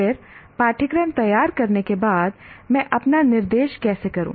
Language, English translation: Hindi, Then having designed the course, how do I conduct my instruction